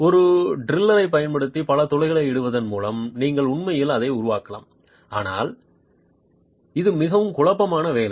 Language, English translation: Tamil, You can actually make it by making several punches using a drill, but it's quite a messy job